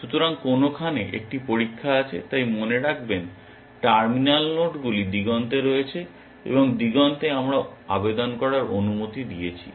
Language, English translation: Bengali, So, some where there is a test so, remember the terminal nodes are those on the horizon, and at the horizon we allowed to apply